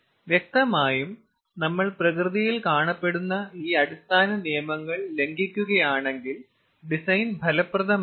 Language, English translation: Malayalam, obviously, if we violate this basic laws of nature, then ah, the design will not be fruitful